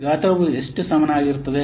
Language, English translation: Kannada, Size is equal to how much